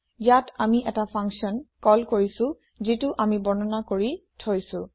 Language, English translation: Assamese, Here, we are just calling a function, which we have defined